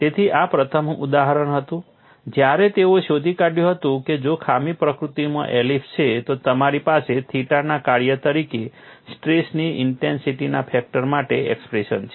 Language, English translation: Gujarati, So, this was the first instance when they found if the flaw is elliptical in nature, you have an expression for stress intensity factor as a function of theta